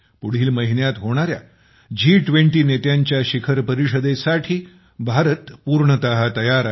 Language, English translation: Marathi, India is fully prepared for the G20 Leaders Summit to be held next month